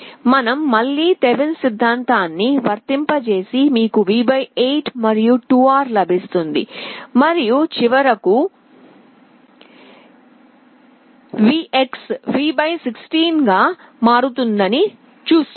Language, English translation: Telugu, You apply Thevenin’s theorem again you get V / 8 and 2R and finally, you will see that VX becomes V / 16